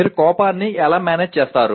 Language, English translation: Telugu, And how do you manage anger